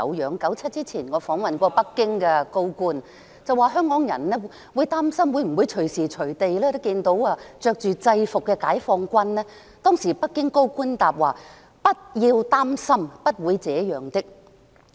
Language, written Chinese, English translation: Cantonese, 在1997年之前，我曾訪問北京的高官，跟他說香港人擔心會否隨時在街上看到穿着制服的解放軍，當時北京的高官答稱："不要擔心，不會這樣的。, Before 1997 I interviewed a senior official in Beijing and told him that people of Hong Kong were worried about seeing uniformed members of PLA on the streets . The senior official said at that time Dont worry . This would not happen